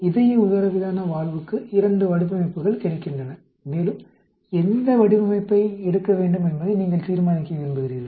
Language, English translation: Tamil, Two designs are available for a heart diaphragm valve and you want to decide which design to take up